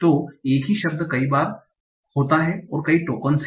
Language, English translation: Hindi, So same word occurs multiple times are multiple tokens